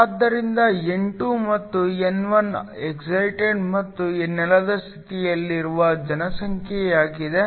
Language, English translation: Kannada, So, N2 and N1 is the population in the excited and ground state